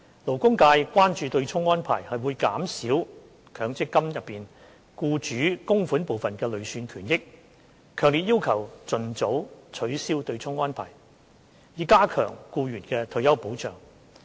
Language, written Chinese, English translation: Cantonese, 勞工界關注對沖安排會減少強積金中僱主供款部分的累算權益，強烈要求盡早取消對沖安排，以加強僱員的退休保障。, The labour sector is concerned about the offsetting arrangement reducing the accrued benefits derived from employers MPF contributions thus making strong calls for its expeditious abolition with a view to enhancing the retirement protection for employees